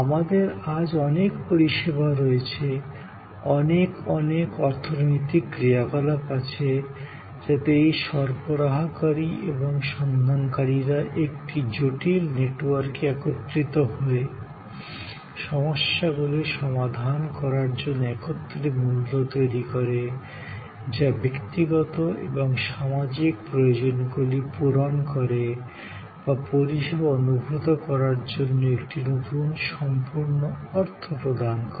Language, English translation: Bengali, And we have many, many services today, many, many economic activities were this providers and seekers coming together in a complex network, creating values together to solve problems, to meet individual and social needs or giving a new complete meaning to the way service is perceived